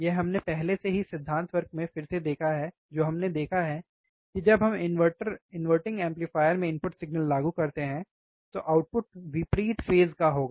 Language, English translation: Hindi, this we have already seen again in the theory class, what we have seen, that when we apply the input signal to the inverting amplifier, the output would be opposite phase